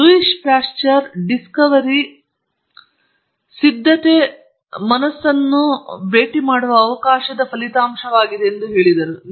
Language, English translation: Kannada, And Louis Pasteur said Discovery is the result of chance meeting a prepared mind